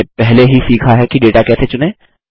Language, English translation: Hindi, We have already learnt how to select data